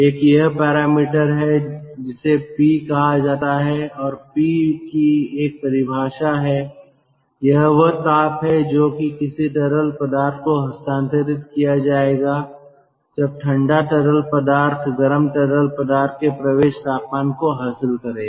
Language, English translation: Hindi, it is called p and the ah definition of p, expression of p has been given: heat actually transferred to the fluid which would be transferred if same cold fluid temperature was raised to the hot fluid inlet temperature